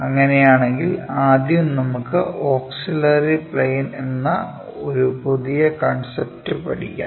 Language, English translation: Malayalam, If that is the case, let us first learn about a new concept name auxiliary planes